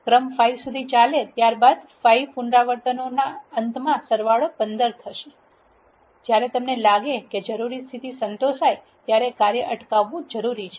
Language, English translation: Gujarati, Since the sequence runs up to 5 the sum will be 15 at the end of 5 iterations, sometimes it is necessary to stop the function when you feel that the required condition is satisfied